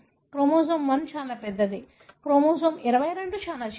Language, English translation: Telugu, Chromosome 1 is very big, chromosome 22 is very small